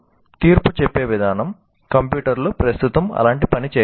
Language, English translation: Telugu, The way humans make a judgment, computers cannot do that kind of thing right now